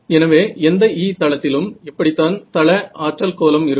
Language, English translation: Tamil, So, in any E plane this is what the field power pattern looks like